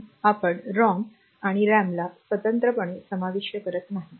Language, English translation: Marathi, So, we do not put separate ROM and RAM